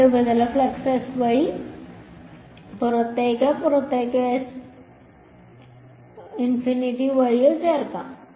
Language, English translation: Malayalam, Two surfaces flux could be leaking at through s outwards or through s infinity outwards ok